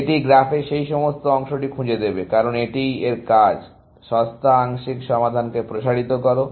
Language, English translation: Bengali, It will explore all this part of the graph, because that is what its mandate is; extend the cheapest partial solution